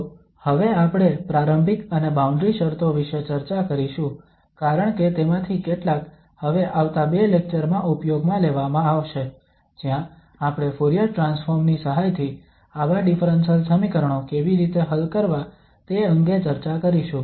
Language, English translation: Gujarati, So now we will discuss initial and boundary conditions because many of them will be used now in next two lectures, where we will be discussing how to solve such differential equations with the help of Fourier transform